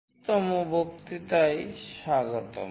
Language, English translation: Bengali, Welcome to lecture 25